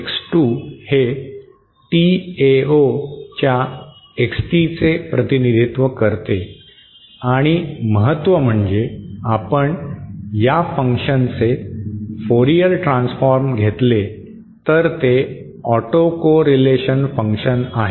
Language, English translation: Marathi, X2 represents XT of Tao and the importance is that if we take the Fourier transform of this function it is the autocorrelation function